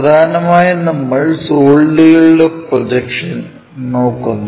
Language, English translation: Malayalam, Mainly, we are looking at Projection of Solids